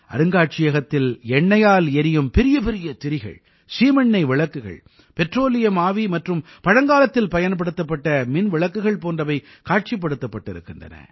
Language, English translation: Tamil, Giant wicks of oil lamps, kerosene lights, petroleum vapour, and electric lamps that were used in olden times are exhibited at the museum